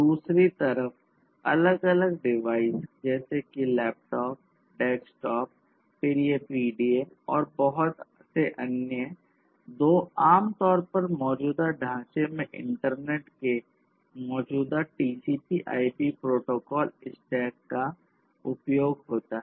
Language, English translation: Hindi, And then we have on the other side you have different devices such as laptops, desktops you know then these PDAs and many others which typically in the existing framework use the existing TCP/IP protocol stack of the internet